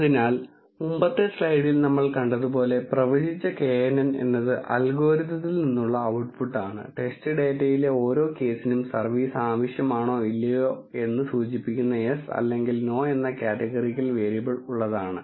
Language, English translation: Malayalam, So, as we have seen in the earlier slide, predicted knn is the output from the algorithm, which has categorical variable yes or no indicating whether service is needed or not for each case in the test data